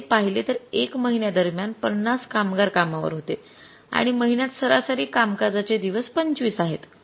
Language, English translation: Marathi, During the one month 50 workers were employed and average working days in the month are 25